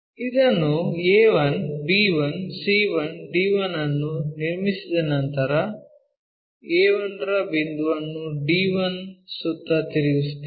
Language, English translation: Kannada, So, we have already after constructing this a 1, b 1, c 1, d 1 we rotate around d 1 point a 1, d 1